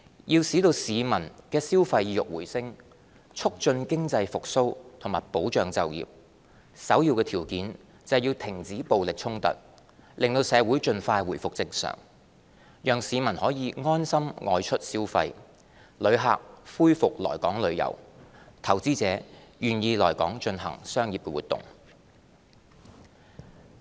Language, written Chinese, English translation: Cantonese, 要使市民的消費意欲回升，促進經濟復蘇和保障就業，首要條件是要停止暴力衝突，令社會盡快回復正常，讓市民可以安心外出消費，旅客恢復來港旅遊，投資者願意來港進行商業活動。, To boost consumer sentiment revitalize the economy and safeguard employment we must first and foremost stop violence so as to bring the city back to normal thereby allowing citizens to go out shopping with peace of mind tourists to resume visiting Hong Kong and investors to be willing to conduct business activities here